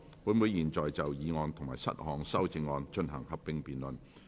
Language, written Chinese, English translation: Cantonese, 本會現在就議案及7項修正案進行合併辯論。, This Council will now proceed to a joint debate on the motion and the seven amendments